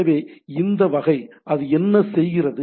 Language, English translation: Tamil, So, this type of what it is doing